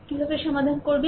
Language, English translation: Bengali, Right, how to solve it